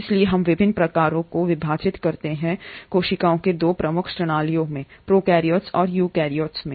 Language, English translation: Hindi, So we divide different types of cells into 2 major categories, prokaryotes and eukaryotes